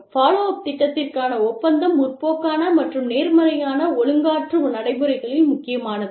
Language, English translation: Tamil, The agreement to a follow up plan, is crucial in both the progressive and positive disciplinary procedures